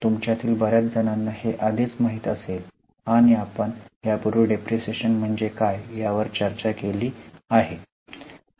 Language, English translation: Marathi, Many of you might already know and we have also discussed what is depreciation earlier